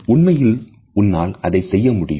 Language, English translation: Tamil, Really you could do that